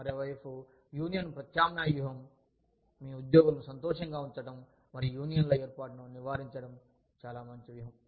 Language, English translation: Telugu, Union substitution strategy, on the other hand, is a very nice strategy of, keeping your employees happy, and avoiding the formation of unions